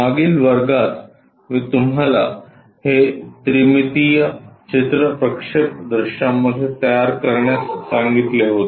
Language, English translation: Marathi, In the last class, I have asked you to construct this three dimensional picture into projectional views